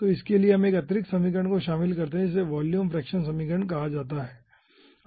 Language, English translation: Hindi, so for that we include 1 additional equation, which is called volume fraction equation